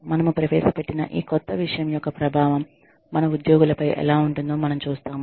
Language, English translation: Telugu, We see, what the impact of this new thing, that we have introduced, is on our employees